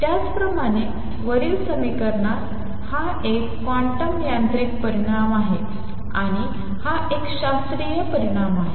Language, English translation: Marathi, Similarly in the equation above, this is a quantum mechanical result and this is a classical result